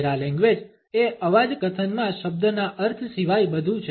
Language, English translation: Gujarati, Paralanguage is everything except the meaning of a word in a voice statement